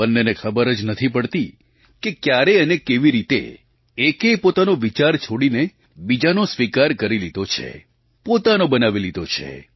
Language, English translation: Gujarati, None of the two even realizes that how and when one other's has abandoned its idea and accepted and owned the idea of the other side